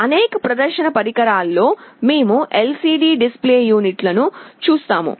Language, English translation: Telugu, In many display devices, we see LCD display units